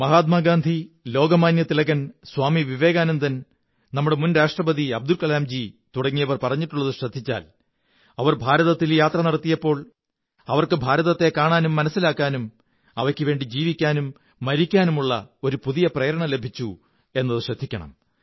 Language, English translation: Malayalam, If you refer to Mahatma Gandhi, Lokmanya Tilak, Swami Vivekanand, our former President Abdul Kalamji then you will notice that when they toured around India, they got to see and understand India and they got inspired to do and die for the country